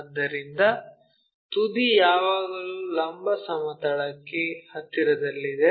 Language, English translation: Kannada, So, the apex always be near to vertical plane